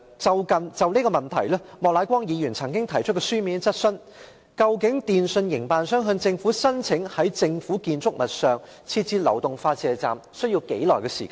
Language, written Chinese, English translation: Cantonese, 就此，莫乃光議員曾經提出書面質詢，究竟電訊營辦商向政府申請在政府建築物內設置流動發射站，需時多久？, In this connection Mr Charles Peter MOK once asked a written question on how long it would take a telecommunications service operator to apply to the Government for installing a mobile transmitting station in a government building